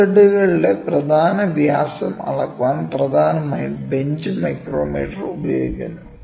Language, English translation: Malayalam, Bench micrometer is predominantly used to measure the major diameter of screw threads